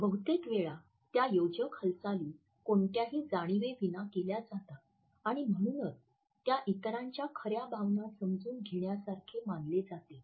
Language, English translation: Marathi, Most of the time they are made without any consciousness and therefore, they are considered to be the case to understanding true emotions of others